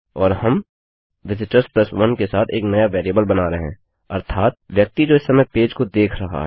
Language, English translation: Hindi, And were creating a new variable with the visitors + 1 namely the person that is viewing this page at the moment